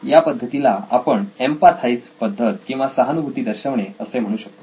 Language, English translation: Marathi, This is a method called empathise